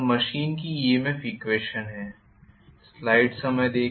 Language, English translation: Hindi, so, this is the EMF equation of the machine